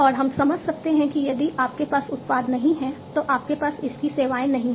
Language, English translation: Hindi, And we can understand that if you do not have product, you do not have its services